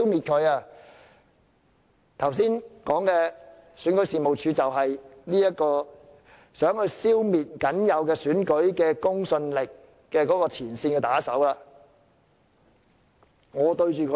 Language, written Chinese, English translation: Cantonese, 剛才說的選舉事務處便是協助北京消滅僅有的選舉公信力的前線打手。, What I have said just now shows that REO is a frontline lackey helping Beijing destroy the limited credibility left of elections